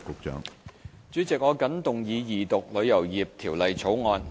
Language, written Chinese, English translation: Cantonese, 主席，我謹動議二讀《旅遊業條例草案》。, President I move the Second Reading of the Travel Industry Bill the Bill